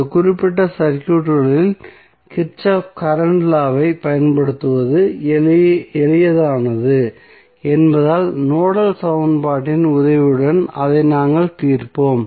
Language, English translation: Tamil, We will solve it with the help of Nodal equation because it is easier to apply Kirchhoff Current Law in this particular circuit